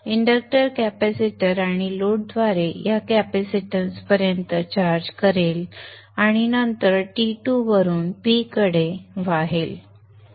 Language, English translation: Marathi, So the inductor will charge up this capacitance in this way through the capacitor and the load and then go from T to P